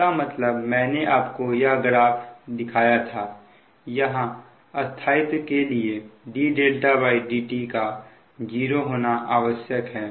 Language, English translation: Hindi, that means i showed you you know this graph that for stability, somewhere d delta by d t has to be zero